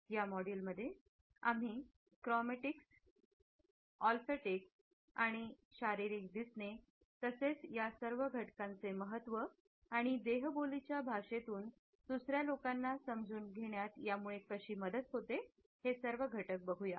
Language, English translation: Marathi, In this module we would be discussing Chromatics, Olfactics as well as the significance of Physical Appearance to understand the kinetic signals of other people